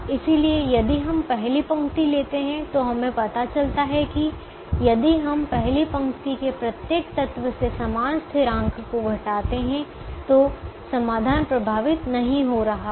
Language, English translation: Hindi, so if we take the first row and we realize that if we subtract the same constant from every element of the first row, the solution is not getting affected